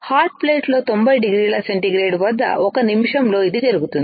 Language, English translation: Telugu, This is done at 90 degrees centigrade for 1 minute on a hot plate